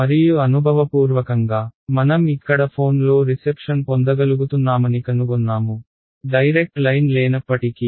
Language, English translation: Telugu, And empirically we find that we are able to get reception on our phone over here, even though there is no line of sight